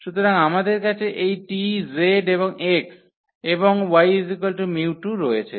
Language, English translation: Bengali, So, we have this t, z and x all and also y here with mu 2